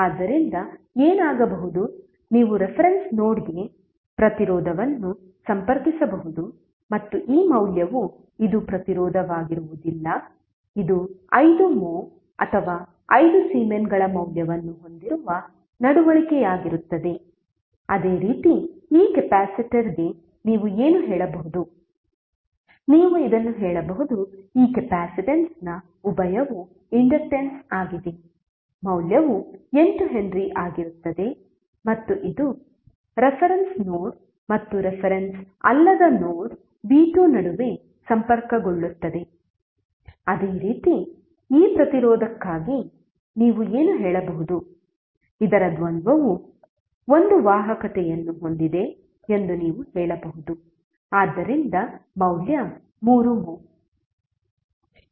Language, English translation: Kannada, So, what will happen you can just connect resistance to the reference node and this value would be this will not be resistance this would be conductance having value of 5 moh or 5 Siemens, similarly for this capacitor what you can say, you can say that the dual of this capacitance is inductance, value would be 8 henry and it will be connected between the reference node and the non reference node v2, similarly for this resistance what you can say, you can say the dual of this is a conductance having a vale 3 moh